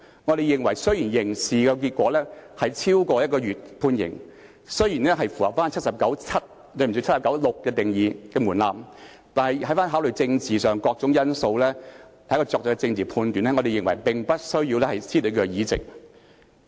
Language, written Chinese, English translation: Cantonese, 我們認為雖然刑事結果是監禁超過1個月，雖然符合《基本法》第七十九條第六項的門檻，但考慮到政治上的各種因素，在作出政治判斷後，我們認為無須褫奪其議席。, In our opinion although the threshold stipulated in Article 796 of the Basic Law was met as the outcome of the criminal case was imprisonment for more than one month we considered it unnecessary to remove Mr LEUNG from office upon making political judgments with various political factors taken into consideration